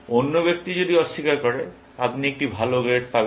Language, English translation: Bengali, If other person is denying, you will get a better grade